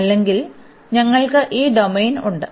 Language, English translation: Malayalam, Or, we have this domain for instance